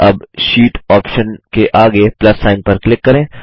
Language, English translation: Hindi, Now, click on the plus sign next to the Sheet option